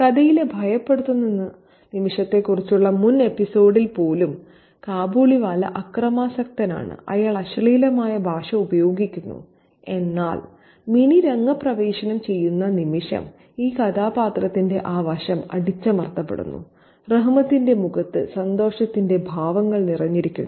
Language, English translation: Malayalam, Even in the previous episode about the frightening moment in the story, the Kabaliwala is violent, he is using obscene language, but the moment Manny enters the scene that sides to this character is suppressed and Ramat's face is filled with expressions of happiness